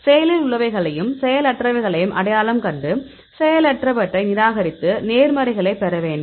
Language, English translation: Tamil, So, we need to identify the actives and inactives and reject inactives and get the positives